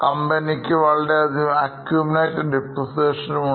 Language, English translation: Malayalam, That's why they have a lot of accumulated depreciation